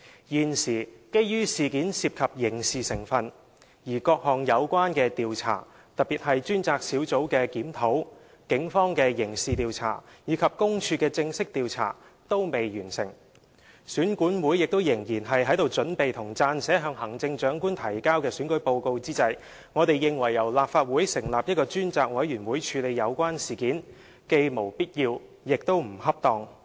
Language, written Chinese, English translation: Cantonese, 現時，基於事件涉及刑事成分，而各項有關調查，特別是專責小組的檢討、警方的刑事調查和公署的正式調查均未完成，選管會亦仍然在準備和撰寫向行政長官提交的選舉報告之際，我們認為由立法會成立一個專責委員會處理有關事件，既無必要，亦不恰當。, The incident involves elements of criminality and at present the various investigations have not yet been completed especially the review by the Task Force the criminal investigation by the Police and the formal investigation by PCPD . Besides REO is preparing an election report for submission to the Chief Executive . For all these reason we hold that setting up a select committee by the Legislative Council to look into the matter is neither necessary nor appropriate